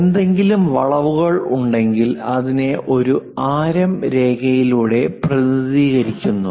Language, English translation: Malayalam, And if there are any curves we represent it by a radius line